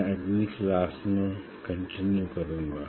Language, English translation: Hindi, I will continue in next class